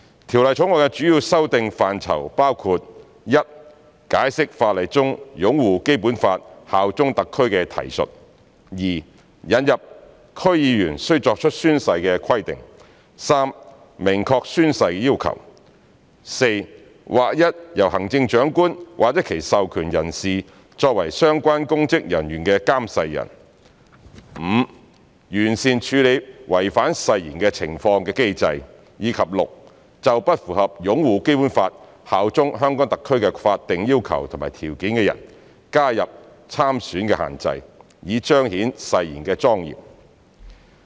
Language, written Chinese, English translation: Cantonese, 《條例草案》的主要修訂範疇包括：一解釋法例中"擁護《基本法》、效忠香港特區"的提述；二引入區議員須作出宣誓的規定；三明確宣誓要求；四劃一由行政長官或其授權人士作為相關公職人員的監誓人；五完善處理違反誓言的情況的機制；及六就不符合"擁護《基本法》、效忠香港特區"的法定要求和條件的人加入參選限制，以彰顯誓言的莊嚴。, The scope of the major amendments to the Bill includes 1 the meaning of the reference to upholding the Basic Law and bearing allegiance to HKSAR; 2 the new requirement for members of the District Councils DC to take an oath when assuming office; 3 specifying the requirements for oath - taking; 4 the oath administrators for the public officers concerned are uniformly the Chief Executive or authorized persons; 5 improving the mechanism for handling breach of oath; and 6 those who fail to comply with the statutory requirements and conditions of upholding the Basic Law and bearing allegiance to HKSAR shall be disqualified from standing for elections so as to demonstrate the solemnity of oath - taking